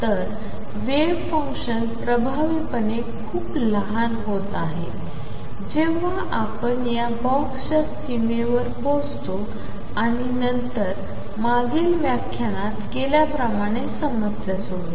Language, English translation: Marathi, So, that the wave function is effectively is becoming very small while the time you reach the boundary of this box and then solve the problem as was done in the previous lecture